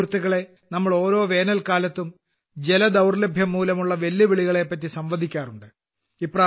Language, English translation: Malayalam, Friends, we keep talking about the challenges related to water every summer